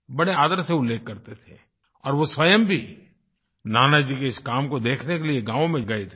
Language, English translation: Hindi, He used to mention Nanaji's contribution with great respect and he even went to a village to see Nanaji's work there